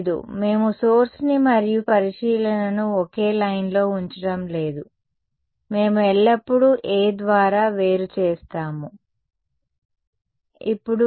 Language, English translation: Telugu, No, we are not putting the source and observation on the same line, we have always separated by A; now